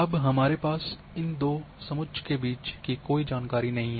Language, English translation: Hindi, Now, we do not have any information between these two contours